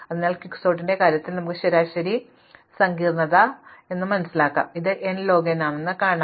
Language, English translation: Malayalam, So, we can actually compute in the case of Quicksort what is called the average case complexity and show that it is n log n